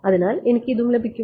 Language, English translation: Malayalam, So, that I get this